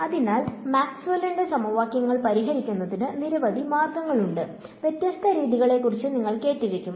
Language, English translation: Malayalam, So, there are several ways of solving Maxwell’s equations that you would have heard of various different methods